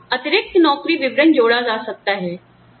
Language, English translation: Hindi, Here, additional job descriptions, could be added